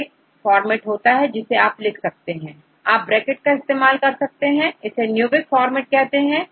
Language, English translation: Hindi, So, there is a format which you can write, represent trees using this parentheses; this format is called the Newick format